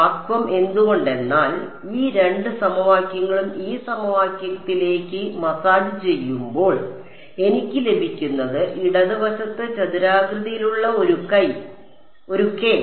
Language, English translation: Malayalam, Vacuum why because when I massage these two equations into this equation what I get is a k naught squared on the left hand side